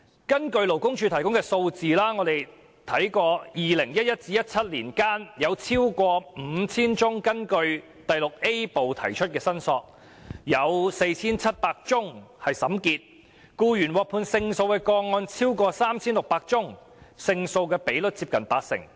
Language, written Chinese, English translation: Cantonese, 根據勞工處提供的數字，在2011年至2017年間，有超過 5,000 宗根據第 VIA 部提出的申索，其中 4,700 宗已經審結，僱員獲判勝訴的個案超過 3,600 宗，勝訴比率接近八成。, According to the figures provided by the Labour Department more than 5 000 claims were made under Part VIA between 2011 and 2017 . Among them 4 700 cases were concluded and over 3 600 cases were ruled in favour of the employees